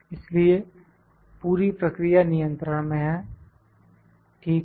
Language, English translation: Hindi, So, the overall process is in control, ok